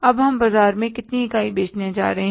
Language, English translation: Hindi, How much units we are going to sell in the market now